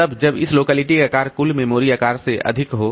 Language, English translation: Hindi, So this thing occurs when the size of this locality is greater than total memory size